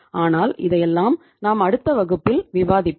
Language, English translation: Tamil, But this all we will discuss in the next class